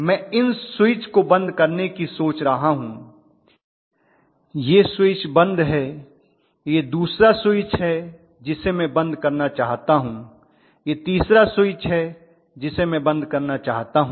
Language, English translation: Hindi, What I am looking at is to close these switches, this switch is closed, this is the second switch which I want to close, this is the third switch which I want to close